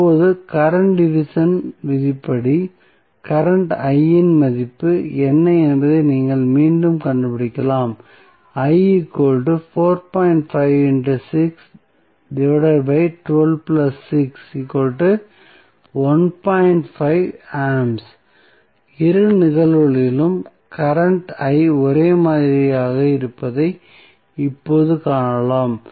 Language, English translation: Tamil, Now, now, by current division rule, you can again find out what would be the value of current I, so we will follow again the current division rule and we will say that the value of current is again 1